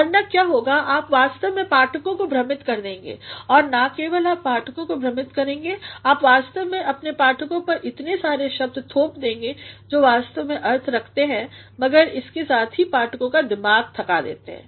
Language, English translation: Hindi, Otherwise, what will happen you will actually confuse the readers and not only will you confuse the readers you will actually impose upon your reader's so many words which actually mean but at the same time tire the mind of the readers